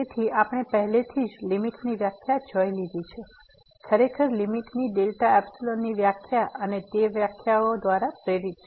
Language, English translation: Gujarati, So, we have already seen the definition of a limit indeed the limit delta epsilon definition of limit and this is motivated by that definitions